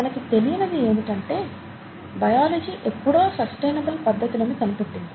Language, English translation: Telugu, What we normally fail to recognize, is that biology has already found sustainable methods